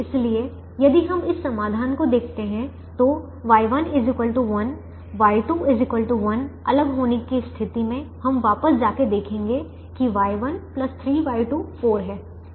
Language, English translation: Hindi, so if we look at this solution y one equal to one, y two equal to one, in isolation, we will go back and see that y one plus three, y two is four, y three is zero, so four